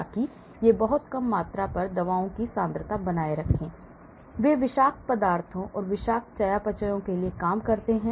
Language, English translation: Hindi, so that they maintain the concentrations of drugs at very low values, they are meant to do the job for toxins and toxic metabolites